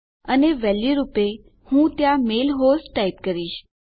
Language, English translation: Gujarati, And I type the mail host in there as the value